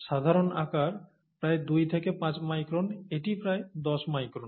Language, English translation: Bengali, Typical sizes, about two to five microns this is about ten microns